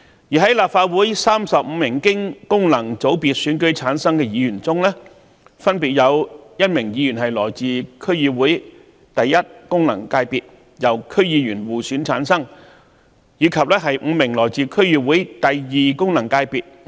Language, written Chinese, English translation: Cantonese, 在立法會35名經功能界別選舉產生的議員中，分別有1名議員來自區議會功能界別，由區議員互選產生，以及5名議員來自區議會功能界別。, Among the 35 Legislative Council Members returned by functional constituency elections one Member is elected from the DC first functional constituency among all DC members while five Members are elected from the DC second functional constituency